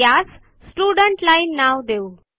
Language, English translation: Marathi, Let us name this the Students line